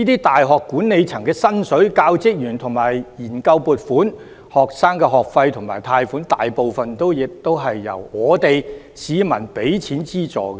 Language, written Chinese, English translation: Cantonese, 大學管理層的薪酬、教職員的研究撥款、學生的學費及貸款，大部分亦是由市民出資資助的。, The remunerations for the university administrations the research funding for the teaching staff and the school fees and loans for students are also largely funded with the money of the people